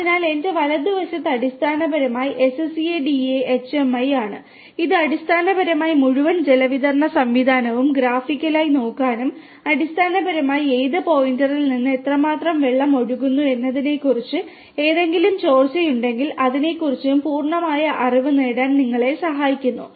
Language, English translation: Malayalam, So, on my right is basically the SCADA HMI which basically helps you to graphically have a look at the entire water distribution system and basically to have complete knowledge of from which point how much water is flowing through and also if there is any leakage at any of the points that also can be detected through this particular interface